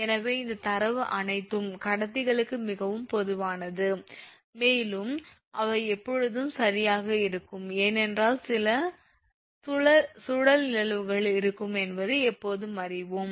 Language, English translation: Tamil, So, these vibration are very common to all conductors, and are always present right, because we always will know some your what you call some vortex phenomena will be there